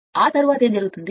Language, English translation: Telugu, After that what will happen